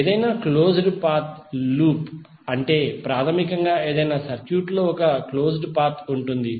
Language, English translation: Telugu, In any closed path loop is basically a closed path in any circuit